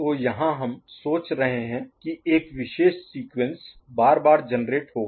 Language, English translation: Hindi, So, here we are thinking about we are that a particular sequence will be generated repetitively ok